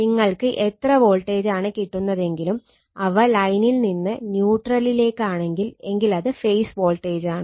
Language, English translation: Malayalam, So, this is line to line voltage, and this is your line to neutral we call phase voltage